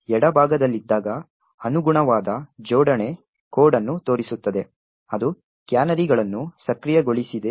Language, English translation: Kannada, While on the left side shows the corresponding assembly code that gets complied with canaries enabled